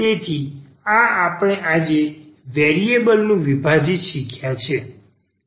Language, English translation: Gujarati, So, this is what we have learnt today, the separable of variables